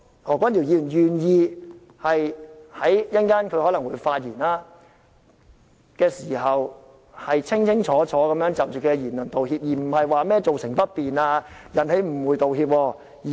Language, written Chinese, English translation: Cantonese, 何君堯議員稍後可能會發言，希望他願意清清楚楚就其言論道歉而不是說甚麼造成不便、引起誤會。, In case Dr Junius HO will speak later on I hope he would clearly apologize for his remarks not for any inconvenience or misunderstanding caused